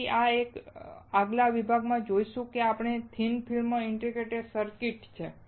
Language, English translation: Gujarati, So, we move to this next section which is our thick film integrated circuit